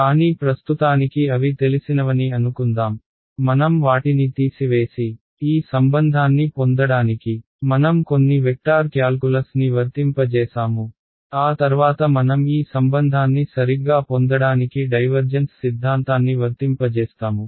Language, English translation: Telugu, But for now let us assume that they are known, we subtracted them and applied some vector calculus to get this relation after which we applied our divergence theorem to get this relation right